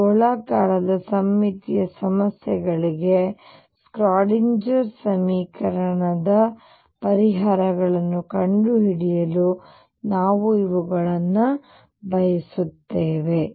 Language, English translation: Kannada, We will use these to find the solutions of Schrodinger equation for these spherically symmetric problems